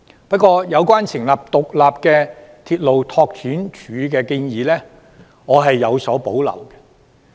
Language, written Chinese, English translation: Cantonese, 不過，有關成立獨立的鐵路拓展署的建議，我是有所保留的。, However I have reservations about the proposal of setting up an independent railway development department